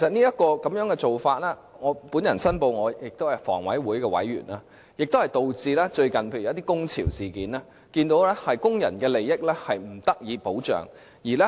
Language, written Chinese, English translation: Cantonese, 這個做法——我申報，我是房委會委員——導致最近發生了一些工潮事件，我們也看到工人的利益不受保障。, This practice―I declare that I am a member of the Housing Authority―has led to the recent occurrence of some industrial actions . We have also seen the interest of workers not being protected